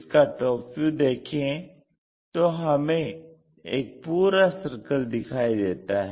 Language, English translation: Hindi, This is the top view, complete circle visible